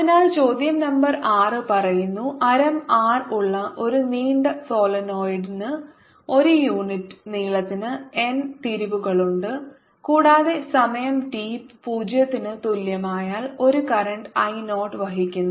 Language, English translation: Malayalam, question number six states a long solenoid with radius r has n turns per unit length and is carrying a current i naught at time t equal to zero